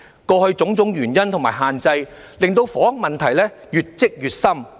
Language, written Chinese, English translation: Cantonese, 過去種種原因和限制，令房屋問題越積越深。, Due to various reasons and limitations housing problems are becoming increasingly serious